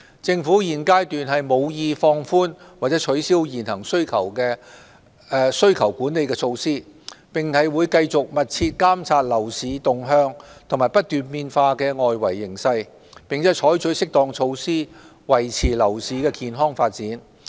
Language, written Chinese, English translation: Cantonese, 政府現階段無意放寬或取消現行需求管理措施，並會繼續密切監察樓市動向和不斷變化的外圍形勢，並採取適當措施，維持樓市健康發展。, At this stage the Government has no intention of relaxing or cancelling the existing demand - side management measures . We will continue to closely monitor the trend of the property market and the changing external situation and take appropriate measures to maintain the healthy development of the property market